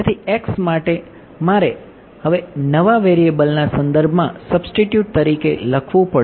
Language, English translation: Gujarati, So, x I have to write as now substitute in terms of the new variables right